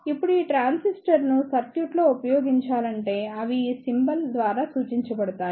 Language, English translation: Telugu, Now if this transistor is to be used in the circuit, then they are presented by this symbol